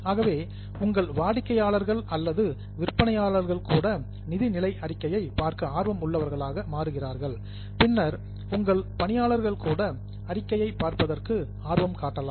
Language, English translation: Tamil, So, even your customers or your suppliers become the parties who are interested in your financial statement, then employees might be interested